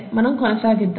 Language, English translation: Telugu, Okay let’s continue